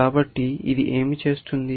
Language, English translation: Telugu, So, what is this doing